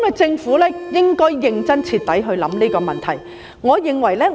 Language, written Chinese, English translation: Cantonese, 政府應該認真、徹底地考慮這個問題。, The Government should consider this issue seriously and thoroughly